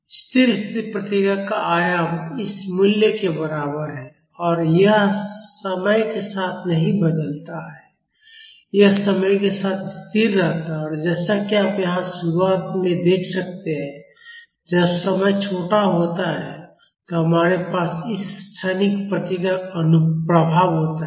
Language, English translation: Hindi, The amplitude of the steady state response is equal to this value and this does not change with time this stays constant with time and as you can see here in the beginning when the time is small we have the effect of this transient response